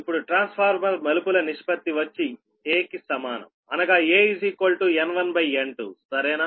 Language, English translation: Telugu, right now, the trans transformer turns ratio is equal to a, is equal to, you know, n one upon n two right